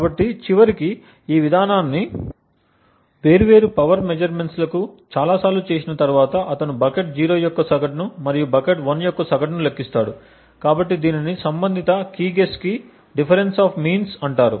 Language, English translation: Telugu, So eventually after doing this over large number of different power measurements he computes the average of bucket 0 and the average of bucket 1, so this is known as the difference of means for that corresponding key guess